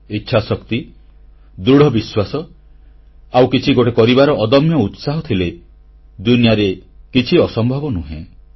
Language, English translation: Odia, If one possesses the will & the determination, a firm resolve to achieve something, nothing is impossible